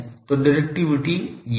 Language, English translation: Hindi, So, directivity is these